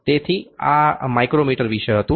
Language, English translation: Gujarati, So, this was about the micrometer